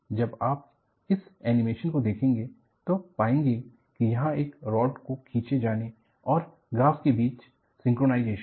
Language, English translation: Hindi, And, you just watch this animation; there is synchronization between the rod being pulled and the graph here